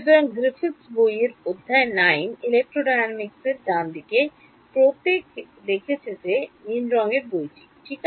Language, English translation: Bengali, So, chapter 9 of Griffiths book on electrodynamics right, everyone has seen that, the blue color book right